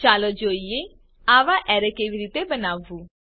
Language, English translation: Gujarati, Let us see how to create such array